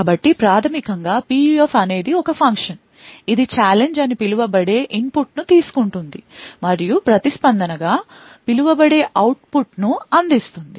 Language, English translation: Telugu, So, basically a PUF is a function, it takes an input known as challenge and provides an output which is known as the response